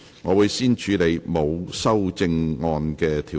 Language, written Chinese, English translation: Cantonese, 我會先處理沒有修正案的條文。, I will first deal with the clauses with no amendment